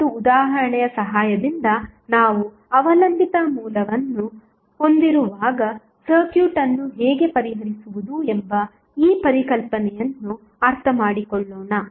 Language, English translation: Kannada, Now, let us understand this concept of how to solve the circuit when we have the dependent source with the help of one example